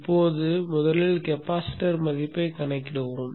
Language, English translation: Tamil, Now first off let us calculate the value of the capacitance